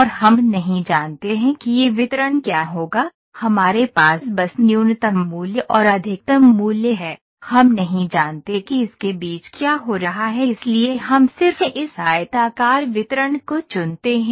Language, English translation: Hindi, And we do not know what a distribution would it follow we have just a minimum value and maximum value we do not know what is happening in between so we just pick this rectangular distribution